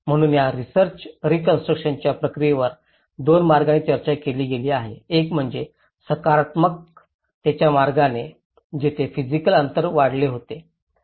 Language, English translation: Marathi, So this research have discussed the reconstruction process in two ways one is instrumentally in a positivist way, where the physical distances had increase